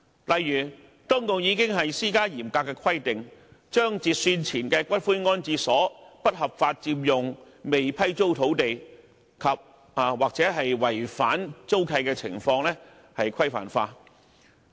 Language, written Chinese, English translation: Cantonese, 例如當局已施加嚴格規定，把截算前的骨灰安置所不合法佔用未批租土地及/或違反租契的情況規範化。, For example stringent requirements have been imposed for the regularization of unlawful occupation of unleashed land andor lease breach by pre - cut - off columbaria